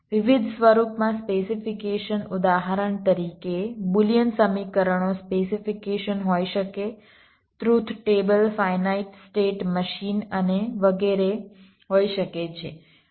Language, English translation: Gujarati, for example, boolean equations can be specifications, truth tables, finite state machines and etcetera